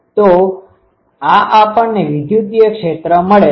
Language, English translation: Gujarati, So, this is we have got the electric field